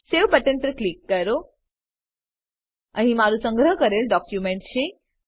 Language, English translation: Gujarati, Click on Save button Here is my saved document